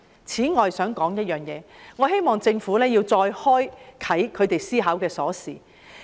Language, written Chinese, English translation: Cantonese, 此外，我還想說一點，我希望政府能再開啟他們思考的鎖。, Besides I would also like to say that I hope the Government can open the lock to their thinking again